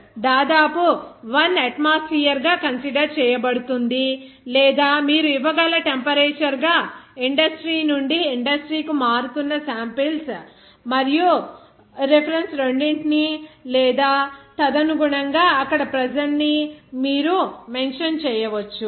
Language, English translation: Telugu, Now, the pressure is nearly always 1 atmosphere to be considered or as temperature for both samples and references that vary from industry to industry that you can give or you can mention that in pressure accordingly there